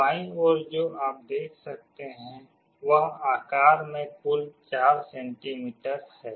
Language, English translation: Hindi, The one on the left you can see is 4 centimeters total in size